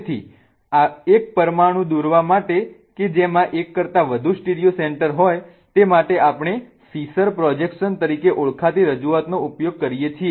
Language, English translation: Gujarati, So, in order to draw molecules that have more than one stereo center, what we use is a representation called as the fissure projection